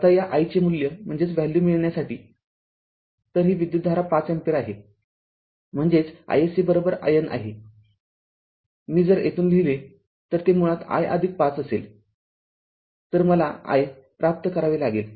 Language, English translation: Marathi, Now to get your ah this i this i value right, to get the i value, so this is this is 5 ampere; that means, your i s c is equal to i Norton; if i write from here, it will be basically i plus 5, so we have to obtain i